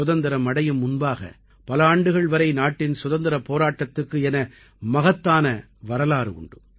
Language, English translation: Tamil, Prior to Independence, our country's war of independence has had a long history